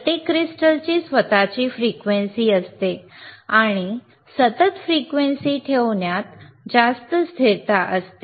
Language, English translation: Marathi, Each crystal has itshis own frequency and implies greater stability in holding the constant frequency